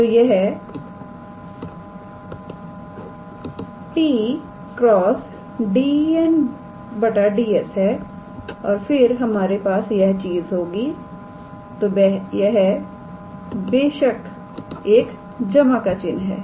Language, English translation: Hindi, So, this is plus t cross product with dn ds and then we have this thing so, of course its plus